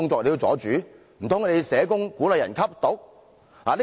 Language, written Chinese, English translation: Cantonese, 難道社工鼓勵別人吸毒？, Do social workers encourage people to take drugs?